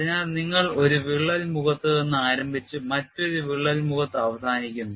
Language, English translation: Malayalam, So, you start from one crack face and end in another crack face